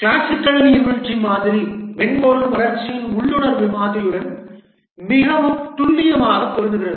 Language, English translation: Tamil, The classical waterfall model fits very accurately to the intuitive model of software development